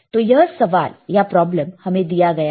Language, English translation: Hindi, This is the question this is the problem given to us